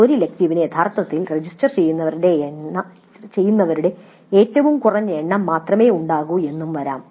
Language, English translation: Malayalam, And it is possible that an elective has actually only that minimum of registrants